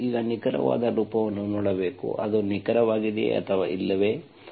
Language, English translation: Kannada, You have to see now exact form, if it is exact or not